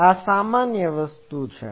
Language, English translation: Gujarati, So, this is general thing